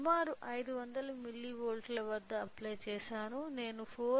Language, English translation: Telugu, So, applied at around approximately of 500 milli volts I am getting 4